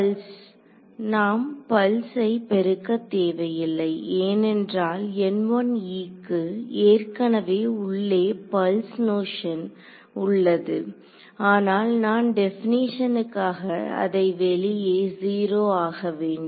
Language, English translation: Tamil, Pulse we do not need to multiply by pulse because N 1 e already has the pulse notion inside it, because I by definition I have made it 0 outside